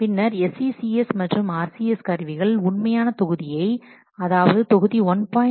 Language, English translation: Tamil, Then the tools, SCCS or RCS, they store the original module, what module 1